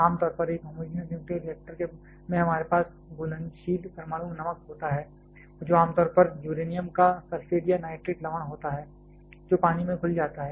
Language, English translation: Hindi, Generally, in a homogenous nuclear reactor we have a soluble nuclear salt commonly a sulphate or nitrates salts of uranium which is dissolved in water